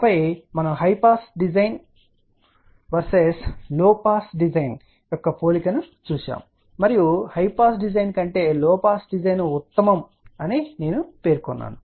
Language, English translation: Telugu, And then we had looked at the comparison low pass design versus high pass design and I had mention that low pass design is generally preferable then the high pass design